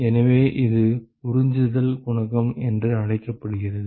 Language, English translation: Tamil, So, that is what is called the absorption coefficient